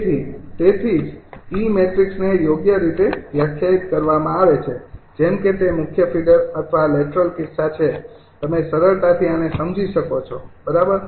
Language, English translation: Gujarati, so thats why the e matrix is defined right, such that, ah, whether it is a main feeder or lateral case, you can easily understand this, right